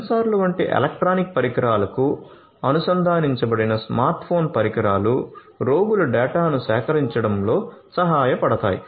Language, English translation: Telugu, So, smart phone devices connected to electronic devices such as sensors can help in collecting the data of the patients